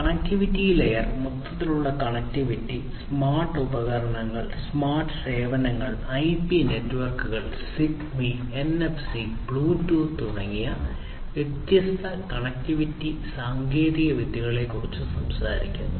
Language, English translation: Malayalam, Connectivity layer talks about the overall connectivity, smart devices, smart services; you know using different connectivity technologies such as IP networks, ZigBee, NFC, Bluetooth etc